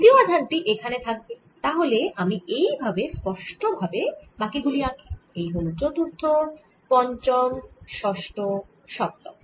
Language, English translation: Bengali, third, one will be here, so let me make it cleanly: fourth, fifth, sixth, seventh